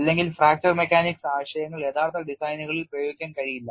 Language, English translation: Malayalam, Otherwise fracture mechanics concepts cannot be applied to actual designs